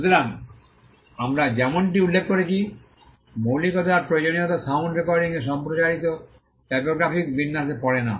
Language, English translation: Bengali, So, the originality requirement as we just mentioned does not fall on sound recordings broadcast typographical arrangements